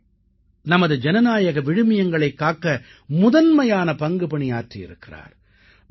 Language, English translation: Tamil, JP played a pioneering role in safeguarding our Democratic values